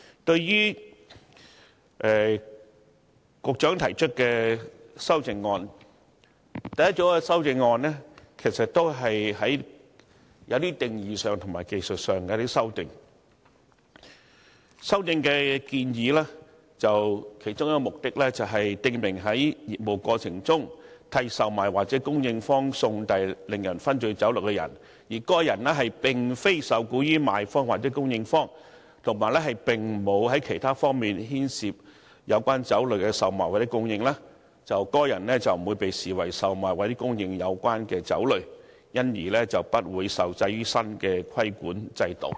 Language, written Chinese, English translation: Cantonese, 對於局長提出的修正案，第一組修正案是一些定義上和技術上的修訂，修訂建議其中一個目的是，訂明在業務過程中替售賣或供應方送遞令人醺醉酒類的人，而該人並非受僱於賣方或供應方，以及並無在其他方面牽涉於有關酒類的售賣或供應，則該人不會被視為售賣或供應有關酒類，因而不會受制於新的規管制度。, Regarding the amendments proposed by the Secretary the first group is definitional and technical in nature . One of the objectives of the proposed amendments is to specify that a person delivering intoxicating liquor in the course of business for a seller or supplier of the liquor would not be regarded as selling or supplying the liquor concerned and thus not subject to the new regulatory regime provided that such person is not employed by the seller or supplier nor involved in the sale or supply of the liquor